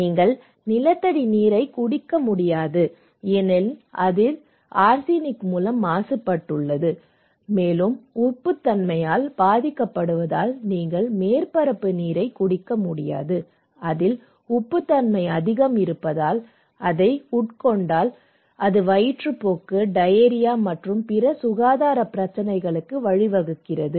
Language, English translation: Tamil, What is the problem here is that arsenic contamination of groundwater so, arsenic contamination of groundwater you cannot drink the groundwater because it is contaminated by arsenic and you cannot drink surface water because it is saline affected by salinity, is the kind of salty if you get, you will get dysentery, diarrhoea and other health problem